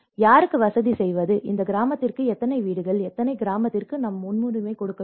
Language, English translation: Tamil, How to facilitate whom, how many houses for this village and which village we have to give priority